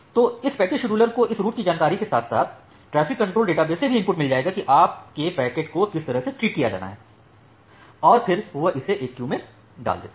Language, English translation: Hindi, So, this packet scheduler it will get input from this route information as well as from the traffic control database, that the how your packets need to be treated, and then it puts it in one of the queues